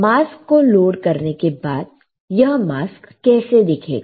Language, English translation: Hindi, So, I load the mask, how my mask will look like